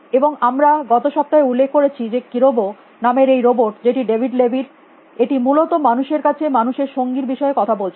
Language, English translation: Bengali, And we mentioned last week this could this robot call kerobo, which is a David levy was talking about human companions to human being essentially